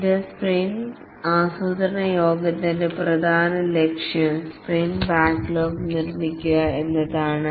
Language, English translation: Malayalam, The main objective of this sprint planning meeting is to produce the sprint backlog